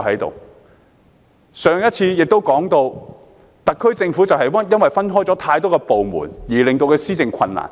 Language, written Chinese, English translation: Cantonese, 我先前也提到，特區政府因為部門過多，令施政困難。, I have earlier said that the sheer number of departments of the SAR Government has given rise to governance difficulties